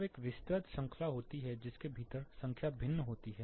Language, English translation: Hindi, When there is a wide range within which the numbers are varying